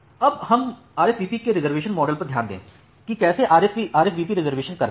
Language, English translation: Hindi, Now, let us look into the reservation model in RSVP how RSVP does the reservation